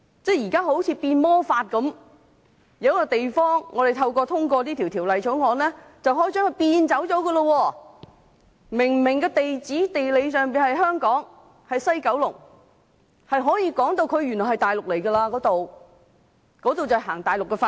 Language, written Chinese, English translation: Cantonese, 現在好像變魔法一樣，透過《條例草案》就可以將一個地方變走，明明地址和地理上是香港的西九龍，卻可以把它說成是大陸地區，實行內地法律。, This is comparable to performing a magic trick . Through the Bill they can make a place disappear . The address and the geographical location of West Kowloon are obviously in Hong Kong but it can be said as a Mainland area where Mainland laws are applicable